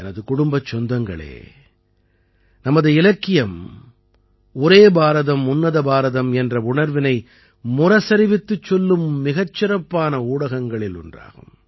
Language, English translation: Tamil, My family members, our literature is one of the best mediums to deepen the sentiment of the spirit of Ek Bharat Shreshtha Bharat